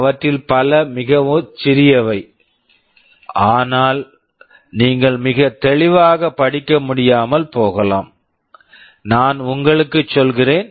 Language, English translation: Tamil, Many of them are very small you may not be able to read very clearly, but I am telling you